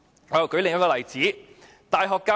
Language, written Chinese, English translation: Cantonese, 我再舉另一個例子。, Let me cite another example